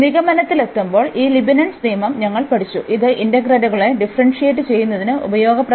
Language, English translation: Malayalam, And coming to the conclusion so, we have learned this Leibnitz rule, which is useful for differentiating the integrals